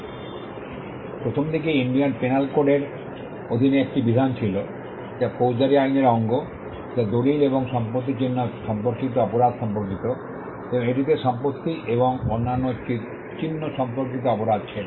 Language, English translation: Bengali, Initially there was a provision under the Indian penal court, which is a part of the criminal law; which pertained to offenses relating to documents and property marks, and it also had offenses relating to property and other marks